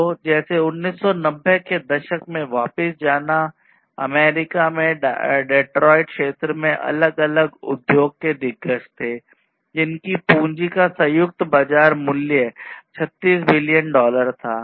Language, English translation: Hindi, So, like going back to the 1990s, there were different industry giants in the Detroit area, in US, which had a combined market value of 36 billion dollars in terms of capitals